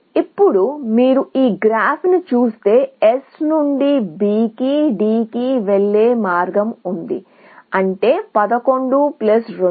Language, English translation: Telugu, Now, if you look at this graph, there is a path going from S to B to D, which is 11 plus 2, 13